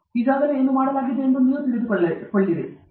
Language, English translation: Kannada, Then you will get to know what is already done